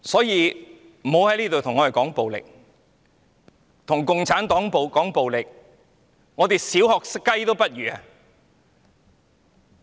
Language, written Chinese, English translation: Cantonese, 如果跟共產黨談暴力，我們連"小學雞"也不如。, When it comes to violence we are not even a kiddie in comparison to CPC